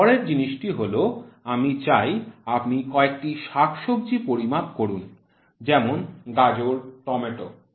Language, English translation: Bengali, Next thing I would like you to measure few vegetables like carrot, tomato